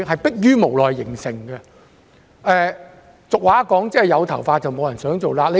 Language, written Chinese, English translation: Cantonese, 俗語有云："有頭髮，無人想做瘌痢。, As the common saying goes Nobody with hair wants to have scabies